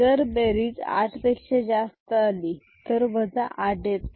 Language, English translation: Marathi, So, the number is more than 9